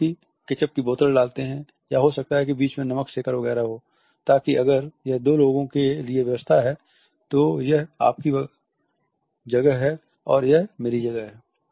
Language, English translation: Hindi, They would put small ketchup bottles or may be salt shakers etcetera in the middle so, that if it is in arrangement for the two this is your space and this is my space